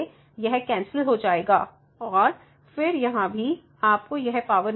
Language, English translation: Hindi, So, this will cancel out and then here also so, you will get and this power